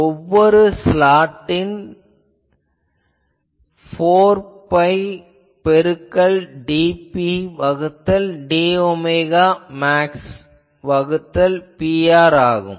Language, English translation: Tamil, And directivity what is directivity of each slot comes out to be that 4 pi into that dP by d ohm max by P r